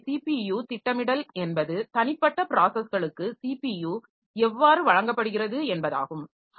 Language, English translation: Tamil, So, here a CPU scheduling means that how the CPU is given to individual processes